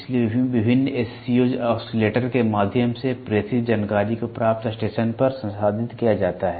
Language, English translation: Hindi, So, at the information transmitted through various SCOs oscillators is processed at the receiving station